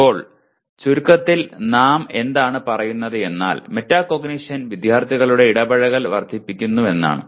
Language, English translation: Malayalam, Now in summary, what do we, what do we say metacognition can increase student engagement